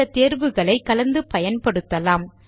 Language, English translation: Tamil, We can combine these options as well